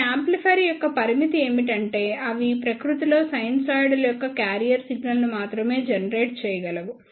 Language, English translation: Telugu, The limitation of these amplifier is that they can only generate the carrier signal of sinusoidal in nature